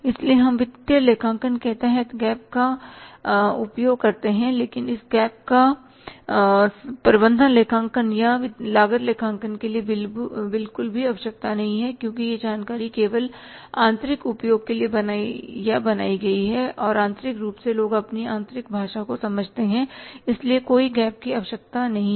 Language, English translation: Hindi, So, we use the gap under the financial accounting but this gap is not required at all for the management accounting or the cost accounting because that information is generated or created for the internal use only and internally people understand their own internal language so no gap is required